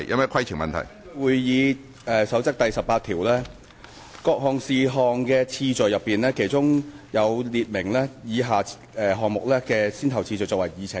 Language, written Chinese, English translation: Cantonese, 根據《議事規則》第18條，對於處理各類事項的次序已有明確的規定，以便按既定的先後次序納入議程處理。, Rule 18 of the Rules of Procedure stipulates clearly that the business of a meeting should be transacted in a specified order so that different items of business may be included in the Agenda of the Council accordingly